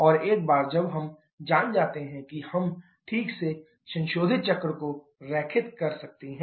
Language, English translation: Hindi, And once we know that we can properly draw the corresponding modified cycle